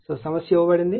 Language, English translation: Telugu, So, this is the problem is given